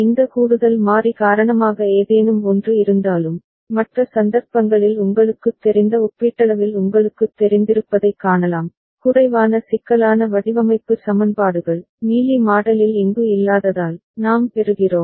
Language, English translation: Tamil, Even if something because of this additional variable that is there, but in the other cases you can see that there is a relatively you know, less complex design equations that we get because of the state d not being present here in the Mealy model ok